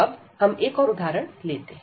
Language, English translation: Hindi, So, we will take another example now